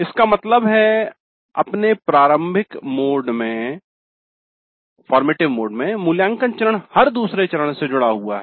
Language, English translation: Hindi, That means in its formative mode, the evaluate phase is connected to every other phase